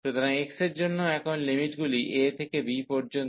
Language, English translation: Bengali, So, for x now the limits are from a to b